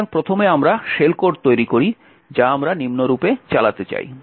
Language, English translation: Bengali, So, first of all we create the shell code that we we want to execute as follows